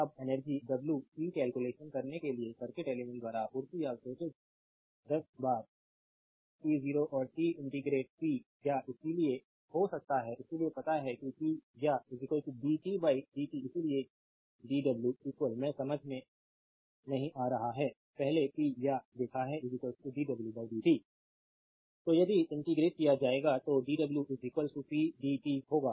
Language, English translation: Hindi, Now to calculate the energy w, supplied or absorbed by a circuit element between time say t 0 and t we integrate power therefore, we know that power is equal to your dw by dt right therefore, dw is equal to I am not writing understandable, earlier we have seen the power is equal to dw by dt So, dw will be is equal to pdt if you integrate